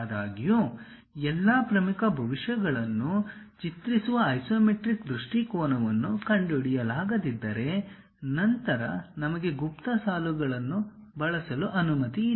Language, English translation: Kannada, However, if an isometric viewpoint cannot be found that clearly depicts all the major futures; then we are permitted to use hidden lines